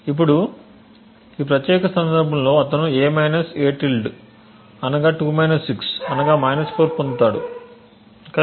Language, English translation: Telugu, Now in this particular case he would have obtained a – a~ to be 2 – 6 to be equal to 4 right